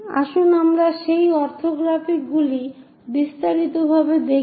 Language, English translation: Bengali, Let us look look at those orthographics in detail